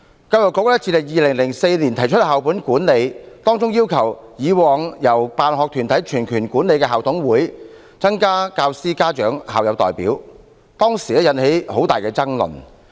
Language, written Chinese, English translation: Cantonese, 教育局自2004年提出校本管理，要求以往由辦學團體全權管理的校董會，增加教師、家長和校友代表，當時引起很大爭論。, The Education Bureau introduced school - based management in 2004 and required that teacher parent and alumni representatives should be added to management committees previously under the complete management of the sponsoring bodies . This caused much controversy back then